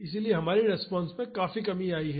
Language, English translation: Hindi, So, our response came down significantly